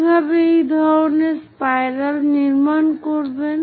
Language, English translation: Bengali, How to construct such kind of spirals